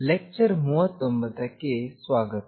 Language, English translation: Kannada, Welcome to lecture 39